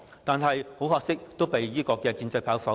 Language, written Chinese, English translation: Cantonese, 但很可惜，有關議案均被建制派否決。, Regrettably the two motions were voted down by pro - establishment Members